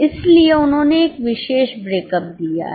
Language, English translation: Hindi, So, they have given a particular breakup